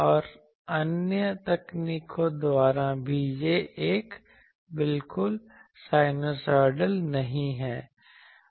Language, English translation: Hindi, And also by other techniques that it is not exactly sinusoidal